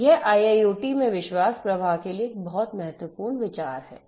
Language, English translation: Hindi, So, this is a very important consideration for trust flow in IIoT